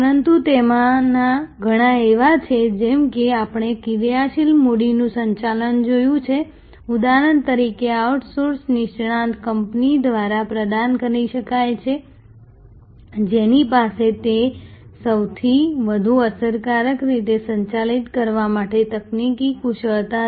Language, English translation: Gujarati, But, many of them are as we saw working capital management for example, can be provided by a outsourced specialist company, who has the technology expertise to manage that most efficiently